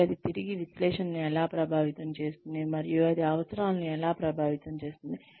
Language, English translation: Telugu, And that, how that in turn, again affects analysis, and how that affects needs